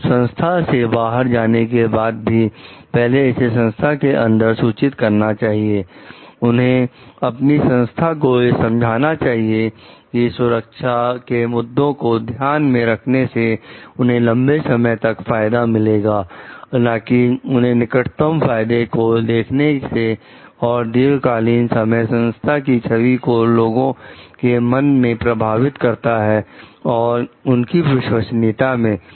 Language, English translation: Hindi, So, but even by going outside the organization, but definitely first it should be reported within the organization, they should try to like convince the organization about the long term benefit of taking care of the safety issues rather than looking for short term gain, and in the long run which may affect the image of the organization in the mind of the public and the trustworthiness